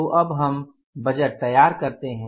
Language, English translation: Hindi, So now let us go for preparing the budget